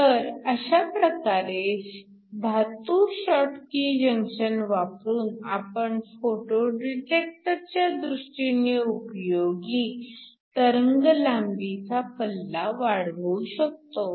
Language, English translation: Marathi, So, by using a metal schottky junction you can increase the wavelength range that you want to interrogate with your photo detector